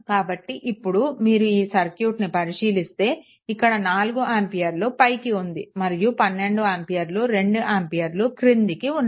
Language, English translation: Telugu, So, once now once if you so, if you look into this that a this 4 ampere is upward, and 12 ampere 2 ampere is downwards right